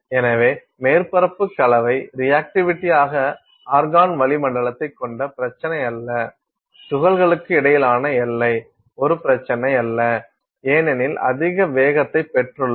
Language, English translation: Tamil, So, surface composition reactivity is not an issue you have an argon atmosphere, boundary between particles is not an issue because you have got very high velocities